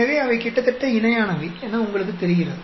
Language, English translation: Tamil, So, they are almost like parallel, you know